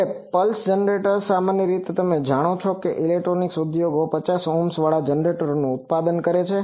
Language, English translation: Gujarati, Now, pulse generators generally you know electronics industry produces generators with 50 Ohm